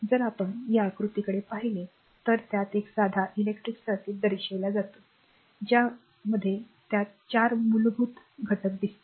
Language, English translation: Marathi, So, just will come to the figure one is shows a simple electric circuit right so, it consist of 4 basic elements look